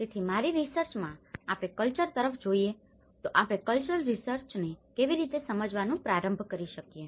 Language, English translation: Gujarati, So in my research, we started looking at the culture how we can start defining the cultural research